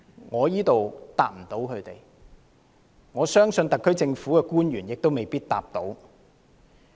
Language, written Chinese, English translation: Cantonese, 我無法回答，相信特區政府的官員亦未必可以作答。, This is a question which I cannot answer and I think not even officials of the SAR Government can answer this question